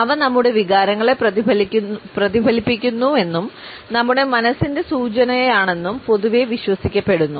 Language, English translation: Malayalam, It is generally believed that they reflect our emotions and are an indication of our mind sets